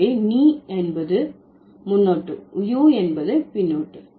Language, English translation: Tamil, So, ne is the prefix, u is the suffix